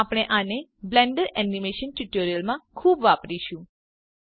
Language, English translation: Gujarati, We will use this a lot in the Blender Animation tutorials